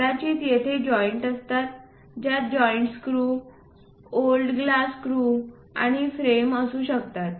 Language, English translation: Marathi, Perhaps there will be joints those joints might be having screws glass screws and frame